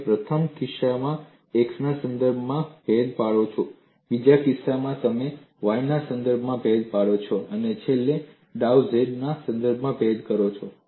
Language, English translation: Gujarati, And you differentiate with respect to x in the first case; the second case, you differentiate with respect to y and finally, you differentiate with respect to dou z